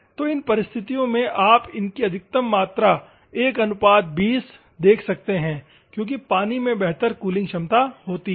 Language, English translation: Hindi, So, in these circumstances, the maximum amount of what you can observe is 1 is to 20 because water is a better cooling ability